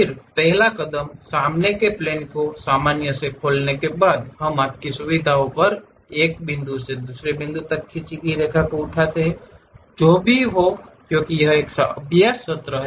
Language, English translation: Hindi, Again, the first step is after opening the front plane normal to it, we pick a Line draw from one point to other point at your convenience whatever the points because it is a practice session